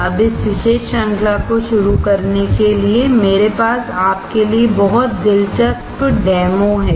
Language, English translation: Hindi, Now to start with this particular series, I have very interesting demo for you